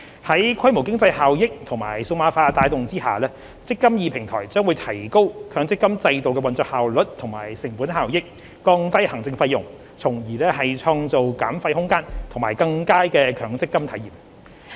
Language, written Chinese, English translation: Cantonese, 在規模經濟效益和數碼化的帶動下，"積金易"平台將提高強積金制度的運作效率和成本效益，降低行政費用，從而創造減費空間及更佳的強積金體驗。, Enabled by economies of scale and digitization the eMPF Platform will enhance the operational efficiency and cost - effectiveness of the MPF System and reduce administrative costs thereby creating room for fee reduction and a better MPF experience